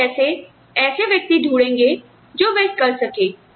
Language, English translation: Hindi, So, and how do you find people, who can do that